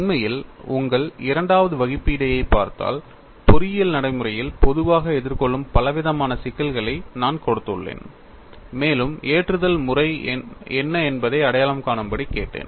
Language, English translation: Tamil, In fact, if you look at your assignment two, I have given a variety of problems that are commonly encountered in engineering practice and I asked you to identify what is the mode of loading